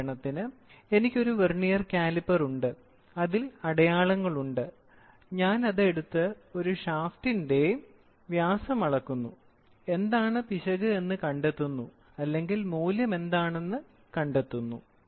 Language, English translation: Malayalam, For example, I have a vernier caliper, it has graduations, I pick up the vernier caliper, measure the shaft diameter, find out what is the error or find out what is the value